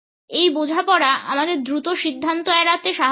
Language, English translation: Bengali, This understanding helps us to avoid hasty conclusions